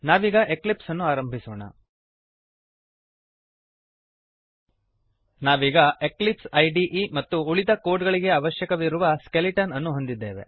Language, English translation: Kannada, Let us now switch to eclipse we have the eclipse IDE and the skeleton required for the rest of the code